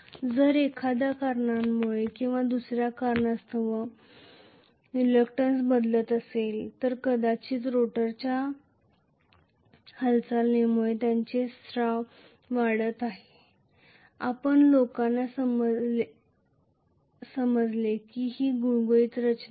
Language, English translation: Marathi, If the reluctance is changing for some reason or the other maybe because of the movement of the rotor which is having protruding structure, you guys understand it is not a smooth structure